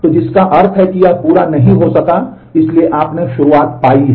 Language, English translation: Hindi, So, which means that it could not be completed and therefore, you have found the start